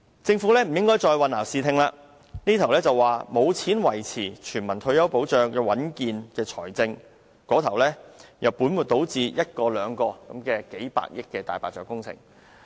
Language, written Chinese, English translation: Cantonese, 政府不應再混淆視聽，這邊廂說沒有錢維持全民退休保障的穩健財政，那邊廂卻本末倒置地，推動一個又一個數百億元的"大白象"工程。, The Government should stop confusing the public by saying that there is not enough money to maintain the finance of an universal retirement protection on the one hand while on the other spending tens of billions of dollars on one white elephant project after another